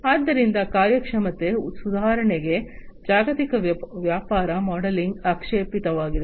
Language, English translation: Kannada, So, global business modelling for performance improvement is what is desired